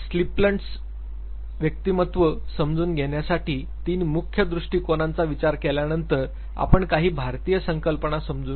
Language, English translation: Marathi, After having discussed the 3 major frame work, which is adopted to understand Splints personality, we would also take the Indian concept ok